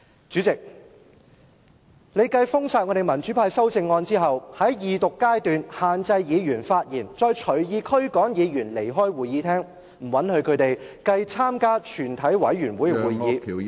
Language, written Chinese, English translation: Cantonese, 主席，你繼封殺民主派的修正案後，在二讀階段限制議員發言，再隨意驅趕議員離開會議廳，不允許他們參與全體委員會階段......, President you disallowed the pan - democrats to put forth amendments restricted Members speaking time during the Second Reading expelled Members from the Chamber arbitrarily and deprived them of the chance to participate in the Committee stage